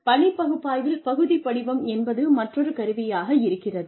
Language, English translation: Tamil, Task analysis, record form is another tool